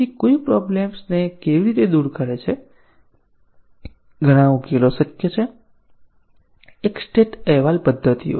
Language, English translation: Gujarati, So, how does one overcome this problem several solutions are possible, one is state reporting methods